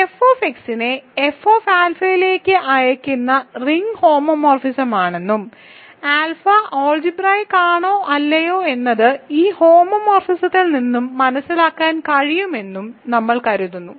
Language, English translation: Malayalam, So, remember we consider this ring homomorphism which sends F x to F alpha and whether alpha is algebraic or not is readable from this homomorphism